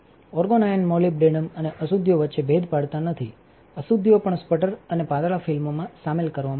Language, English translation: Gujarati, Argon ions do not distinguish between molybdenum and impurities; impurities will also be sputtered and incorporated into the thin film